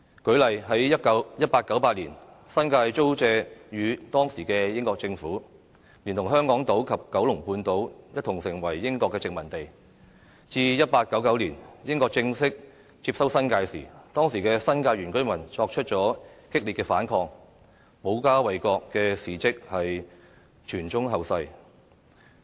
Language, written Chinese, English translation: Cantonese, 舉例而言，在1898年，新界租借予當時的英國政府，連同香港島及九龍半島一同成為英國殖民地，至1899年英國正式接收新界時，當時的新界原居民作出激烈反抗，保家衞國的事蹟傳誦後世。, For example the New Territories were leased to the then British Government in 1898 and became British colonies together with Hong Kong Island and Kowloon Peninsula . In 1899 when the British formally took over the New Territories the indigenous residents of the New Territories resisted vigorously . Stories of how these residents defended their hometown and country have been passed on generation after generation